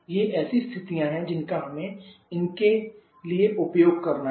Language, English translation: Hindi, These are the condition that we have to use for that